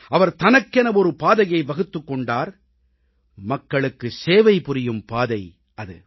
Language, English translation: Tamil, He chose a different path for himself a path of serving the people